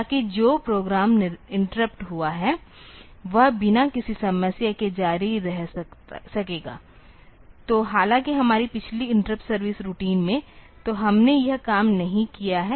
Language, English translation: Hindi, So that the program which got interrupted will be able to continue without any problem; so though in our previous interrupt service routine, so we have not done this thing